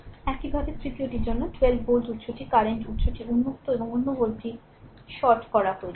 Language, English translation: Bengali, Similarly for the third one the 12 volt source is there current source is open and another volt is shorted right